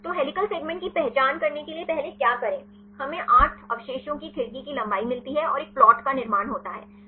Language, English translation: Hindi, So, to identify the helical segments what to do first we get the window length of 8 residues and construct a plot